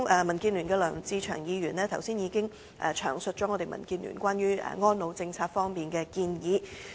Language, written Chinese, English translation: Cantonese, 民建聯的梁志祥議員剛才已詳述民建聯關於安老政策的建議。, Just now Mr LEUNG Che - cheung from DAB already discussed in detail DABs proposals for the elderly care policy